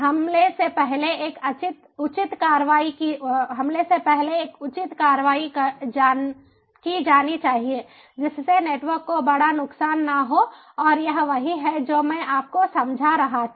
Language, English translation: Hindi, an appropriate action should be taken before the attack causes major harm to the network, and this is what i was explaining to you and the operationals